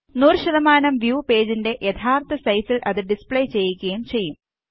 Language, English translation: Malayalam, 100% view will display the page in its actual size